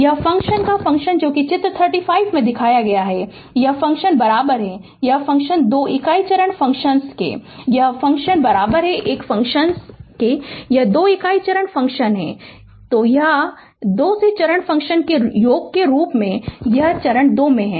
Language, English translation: Hindi, This function this function that is figure 35, this function is equal to this function, this these 2 unit step function, this is these 2 your what you call step as summation of these 2 step function